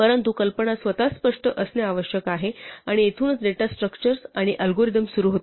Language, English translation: Marathi, But the idea itself has to be clear and that is where data structures and algorithm start